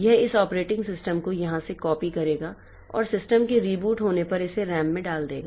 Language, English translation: Hindi, It will be copying this operating system from here and put it into the RAM when the system reboots